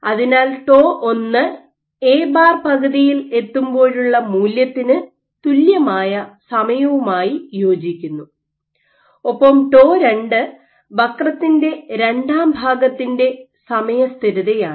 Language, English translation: Malayalam, So, tau 1 corresponds to the time at which you have reached a value of A bar equal to half and tau 2 is the time constant for the second portion of the curve